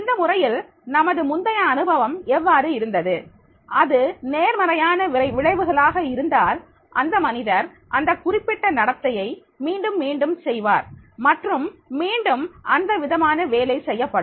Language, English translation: Tamil, In this case, it means that that is whatever is the past experience, if there has been the positive consequences, then the person will be repeating that particular behavior and repetitive nature of that task will be done